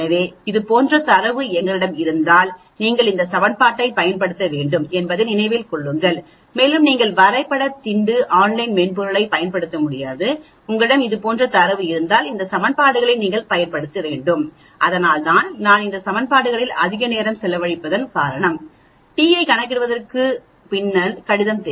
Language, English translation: Tamil, So if we have data like this then obviously you have to use these equations remember that and you can we cannot use the graph pad online software also, if you have data like this you have to use these equations that is why I am spending lot of time on these equations that way you get an idea about the underlying mathematics behind calculating the t